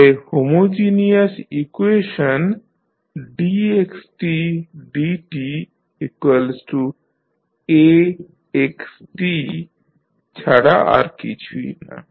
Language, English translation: Bengali, So, homogeneous equation is nothing but dx by dt is equal to A into xt